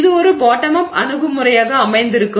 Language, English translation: Tamil, So you can think of it as a bottom up approach